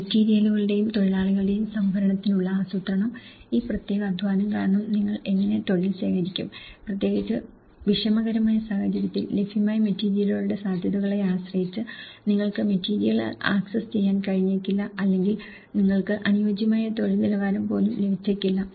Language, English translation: Malayalam, Planning for the procurement of materials and labour; how do you procure labour because this particular labour in especially, in a distressed conditions, you may not be able to access the materials as well depending on the feasibilities of the available materials or you may not even get the labour appropriate level